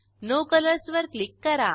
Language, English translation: Marathi, Click on No colors